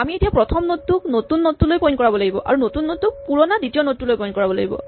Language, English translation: Assamese, We must now make the first node point to the new node and the new node point to the old second node